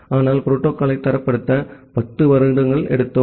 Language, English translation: Tamil, But then we took around 10 years to make the protocol standardized